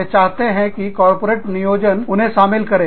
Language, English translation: Hindi, They want the corporate planning, to include them